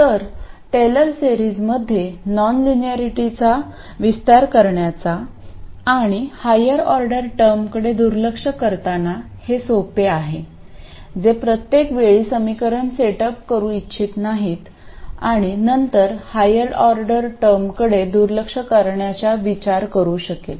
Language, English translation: Marathi, So while this business of expanding the non linearity in Taylor series and neglecting higher order terms this is easy, we still don't want to set up the equations every time and then go about this business of neglecting higher order terms